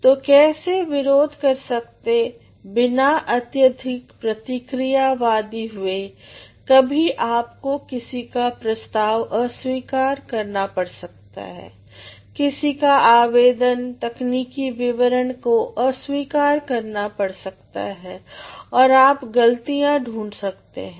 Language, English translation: Hindi, So, how to protest without ever being too much reactionary, sometimes you also have to reject somebody's proposal, somebody's application, technical description has to be rejected, and you can find the fault